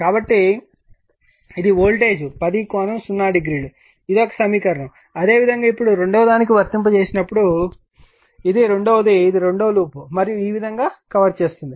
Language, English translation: Telugu, So, this is the voltage 10 exist this is one equation, similarly for your second one, when you apply your what you call now this is the second your what you call this is the second loop and you are covering like this